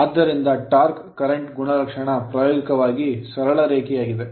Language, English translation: Kannada, So, therefore, there is the curve of torque current character is practically a straight line